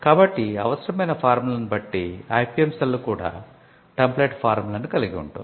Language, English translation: Telugu, So, depending on the routine forms that are required the IPM cell can also have template forms